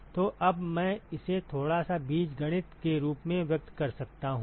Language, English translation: Hindi, So, now I can express this as, so a little bit of algebra